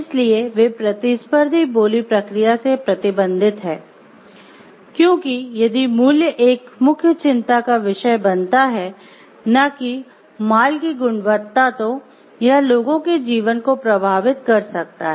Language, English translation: Hindi, So, they are restricted from competitive bidding, because if price becomes a concern and not the goods quality of the goods it may affect life of people